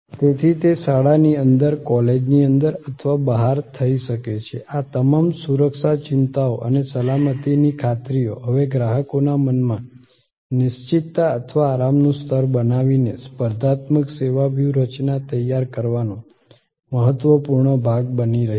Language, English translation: Gujarati, So, it can happen inside a school, inside a college or outside, all these security concerns and the safety assurances are now becoming important part of designing a competitive service strategy, creating the level of certainty or comfort in the customers mind